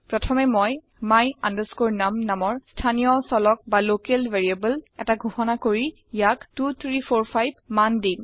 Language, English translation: Assamese, First, I declare a local variable my num and assign the value 2345 to it